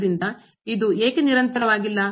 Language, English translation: Kannada, So, why this is not continuous